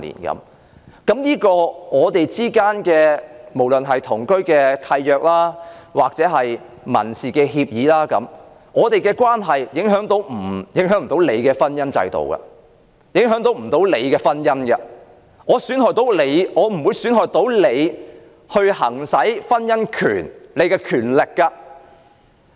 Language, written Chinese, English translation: Cantonese, 不論我是透過同居契約或民事協議作出安排，我們的關係不會影響婚姻制度及別人婚姻，亦不會損害別人行使婚姻權的權利。, Now no matter how I seek to make such arrangements by a deed of cohabitation or by a civil union agreement our relationship will not impact the marriage institution and others marriages . Other peoples right to marry will not be impaired either